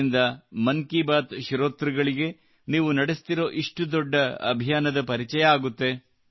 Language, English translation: Kannada, So that the listeners of 'Mann Ki Baat' can get acquainted with what a huge campaign you all are running